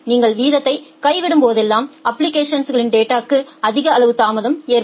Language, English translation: Tamil, Whenever you are dropping the rate you will have more amount of delay for the application data